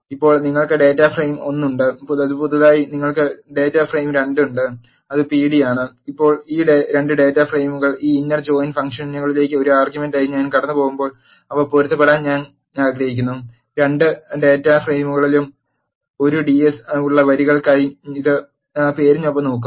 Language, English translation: Malayalam, Now you have data frame 1 which is pd new you have data frame 2 which is pd, now when I pass these 2 data frames as an argument to this inner join function and I want to match them, by name it will look for the rows with I ds present in the both data frames